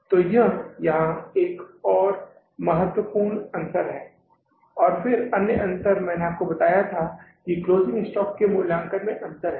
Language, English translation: Hindi, And then another difference I told you that there is a difference in the evaluation of the closing stock